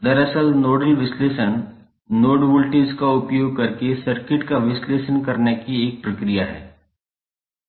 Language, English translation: Hindi, Actually, nodal analysis provides a procedure for analyzing circuit using node voltage